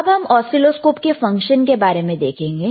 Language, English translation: Hindi, Now, let us go to the function of the oscilloscopes